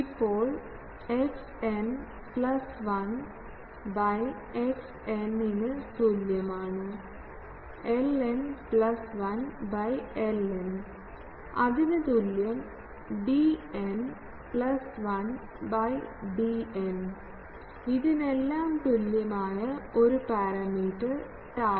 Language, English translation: Malayalam, Now, if we relate that x n plus 1 by x n is equal to l n plus 1 by l n is equal to d n plus 1 by d n is equal to an plus 1 by an is equal to a parameter tau